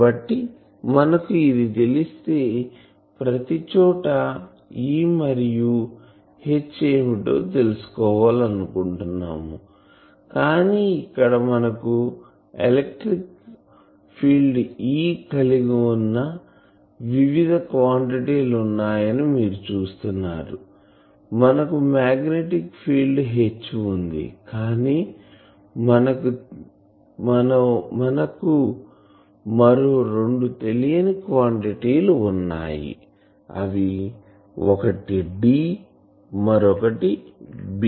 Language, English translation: Telugu, So, if we know this we want to find what is E and H everywhere, but here you see there are various quantities we have the electric field E, we have the magnetic field H, but we also have two more unknown quantities one is D, another we have B